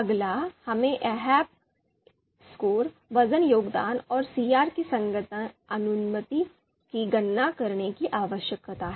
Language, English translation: Hindi, Now next thing is we need to calculate ahp scores, weight contribution and CR that is consistency ratio